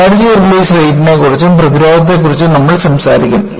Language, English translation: Malayalam, And, we will also talk about Energy Release Rate, as well as the resistance